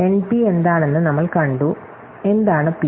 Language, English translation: Malayalam, So, we have just seen what NP is, so what is P